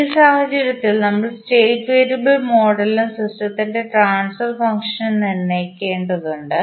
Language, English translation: Malayalam, In this case we need to determine the state variable model and the transfer function of the system